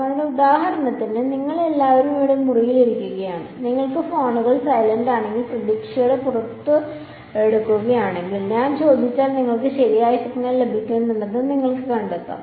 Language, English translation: Malayalam, So, for example, you all are sitting here in this room, if you pull your phones out hopefully if it is on silent you should find you should find there is that you are getting a signal right if I ask